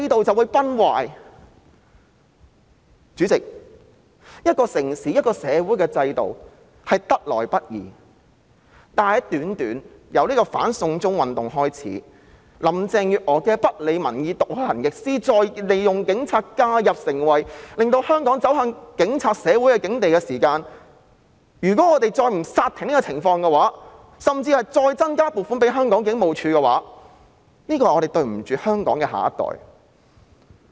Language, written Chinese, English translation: Cantonese, 主席，一個城市、一個社會的制度得來不易，但由"反送中"運動開始，林鄭月娥不理民意、倒行逆施，再利用警察介入，在短短的時間裏令香港走向警察社會的境地，如果我們不阻止這種情況，甚至再增加警務處的撥款，我們便會對香港的下一代有所虧欠。, Our system will then collapse . Chairman it is no easy task to establish the system of a city or a society but since the anti - extradition to China movement Carrie LAM has ignored public opinion taken a retrograde step and made use of the Police for intervention thereby plunging Hong Kong into the plight of a police society in such a short period of time . If we do not stop this from happening or even increase the funding of HKPF we will owe to the next generation of Hong Kong